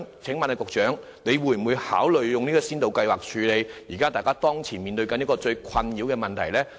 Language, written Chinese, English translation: Cantonese, 請問局長會否考慮推出先導計劃，以處理當前最困擾大家的問題呢？, Will the Secretary consider launching a pilot scheme to tackle the problems that trouble owners?